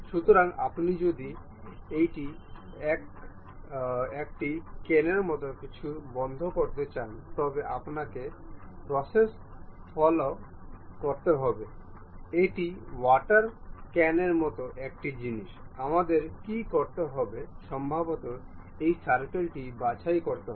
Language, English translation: Bengali, So, if you want to really close this one something like a cane, water cane kind of thing, what we have to do is perhaps pick this circle